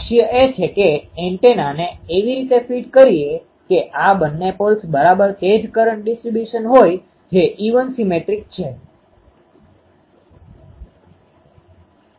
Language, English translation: Gujarati, The goal is to feed the antenna in such a way that these two poles have exactly the same current distribution that is the even symmetric